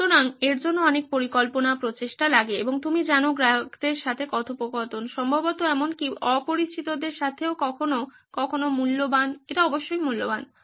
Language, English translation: Bengali, So this takes a lot of planning, effort and you know interacting with your customers, probably with sometimes even with strangers but it is worth it is while, its definitely worth it